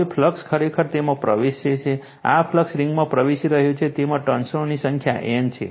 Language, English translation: Gujarati, Now, current actually entering it, this current is entering this ring has N number of turns right